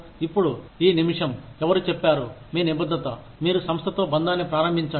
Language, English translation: Telugu, Now, the minute, somebody says that, your commitment, you start bonding with the organization